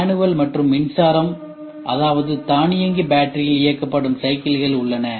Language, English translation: Tamil, Manual and electric that means to say automatic battery operated bicycles are there